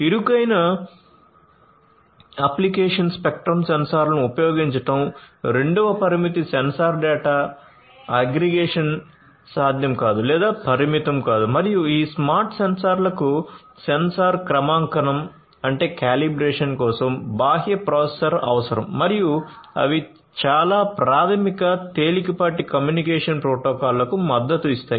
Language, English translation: Telugu, Narrow application spectrum is the second limitation sensor data aggregation using the sensors is not possible or limitedly possible and external processor for sensor calibration is required for these smart sensors and also they would support very basic lightweight communication protocols